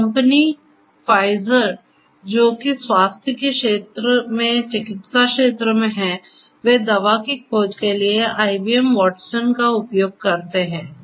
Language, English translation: Hindi, So, the company Pfizer which is in the medical space the healthcare domain they exploit IBM Watson for drug discovery